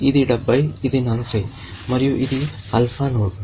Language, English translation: Telugu, This is 70, this is 40, and this is an alpha node